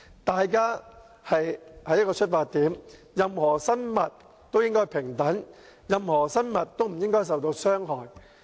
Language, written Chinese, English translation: Cantonese, 大家應有同一個出發點，就是任何生物都應平等，任何生物都不應受到傷害。, Everyone should agree on the same starting point which is all living things should be equal and all living things should be free from harm